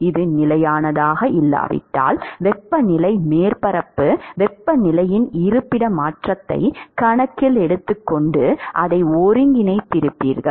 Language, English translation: Tamil, If it is not constant, then you would have be integrate it taking up taking into account the locational change of the temperature surface temperature